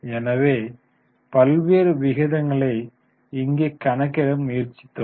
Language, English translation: Tamil, So, we have tried to variety of ratios there here